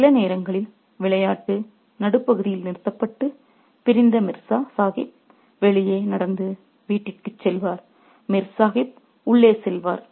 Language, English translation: Tamil, Sometimes the game of, sometimes the game would be terminated midway and the estranged Mursah Sahib would walk out and go home and Mirs Sahib would go inside